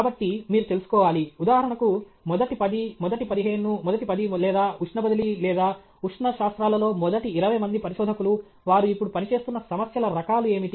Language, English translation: Telugu, So, you should know, for example, the top ten, the top fifteen, the top ten or top twenty researchers in heat transfer or thermal sciences; what are the kinds of problem they working on now